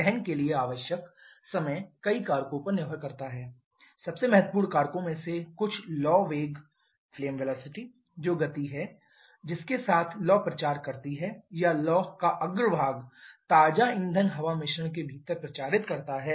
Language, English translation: Hindi, Time required for combustion that can depend on several factors some of the most important factors are the flame velocity that is the speed with which the flame propagates or flame front propagates within the fresh fuel air mixture